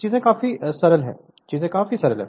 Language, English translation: Hindi, So, things are quite simple, things are quite simple